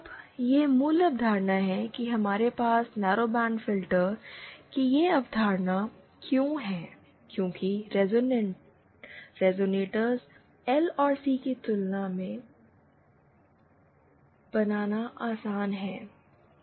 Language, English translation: Hindi, Now, so, that is the basic concept that, that this why we have this concept of narrowband filters because resonators are easier to build than L and C